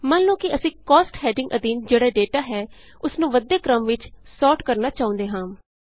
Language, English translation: Punjabi, Lets say, we want to sort the data under the heading Costs in the ascending order